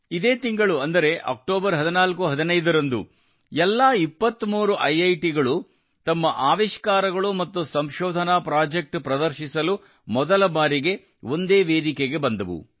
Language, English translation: Kannada, This month on 1415 October, all 23 IITs came on one platform for the first time to showcase their innovations and research projects